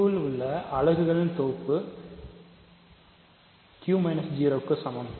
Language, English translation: Tamil, So, set of units in Q is equal to Q minus 0